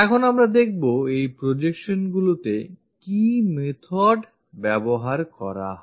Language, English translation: Bengali, Now, we will look at methods involved on these projections